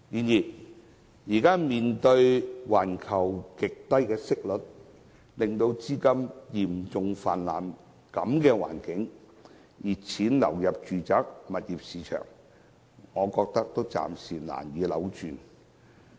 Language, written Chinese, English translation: Cantonese, 然而，面對現時環球極低息率，資金嚴重泛濫，熱錢紛紛流入住宅物業市場的情況，我認為暫時難以扭轉局面。, However given the current extremely low global interest rates serious capital overflow and the influx of hot money into the residential property market I think it is difficult to reverse the situation for the time being